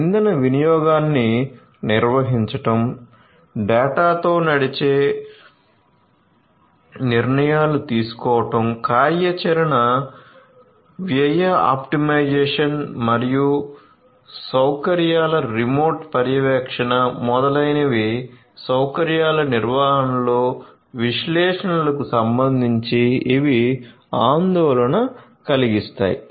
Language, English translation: Telugu, So, managing the energy consumption, making data driven decision decisions, operational cost optimization, remote monitoring of facilities, etcetera these are of concerns with respect to analytics in facility management